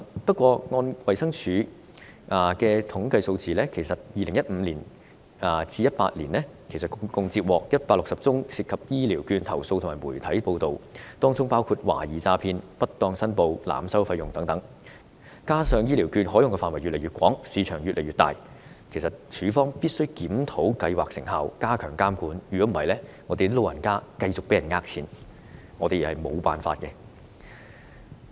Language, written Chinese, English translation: Cantonese, 不過，按照衞生署的統計數字 ，2015 年至2018年共接獲160宗涉及醫療券的投訴及媒體報道，當中包括懷疑詐騙、不當申報、濫收費用等，加上醫療券的使用範圍越來越廣、市場越來越大，衞生署必須檢討計劃成效，加強監管，否則我們無法解決長者繼續被騙錢的情況。, However according to the statistics of the Department of Health from 2015 to 2018 there were 160 complaints and media reports involving elderly health care vouchers including suspected fraud improper declaration and overcharging etc . As the scope of application of elderly health care vouchers has become wider and the market has become larger the Department of Health must review the effectiveness of the scheme and enhance monitoring; otherwise we will not be able to solve the persistent problem of cheating the elderlys money